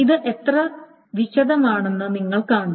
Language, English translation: Malayalam, Now you see how detailed this is